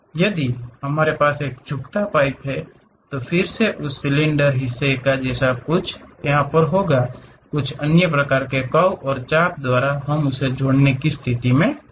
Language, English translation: Hindi, If we have a pipe bend, then again some part of that cylinder portions, some other things by other kind of curves and arcs; we will be in a position to connect it